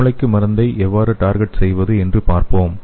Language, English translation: Tamil, So let us see how we can deliver the drug to the brain